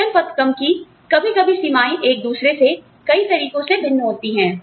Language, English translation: Hindi, The pay grades are, sometimes, the ranges differ from one another, in various ways